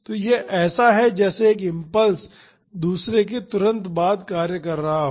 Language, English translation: Hindi, So, it is like one impulse is acting immediately after the other